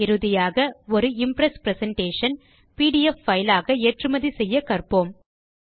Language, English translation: Tamil, Finally we will now learn how to export a LibreOffice Impress presentation as a PDF file